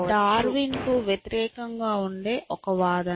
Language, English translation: Telugu, So, this is an arguments against Darwin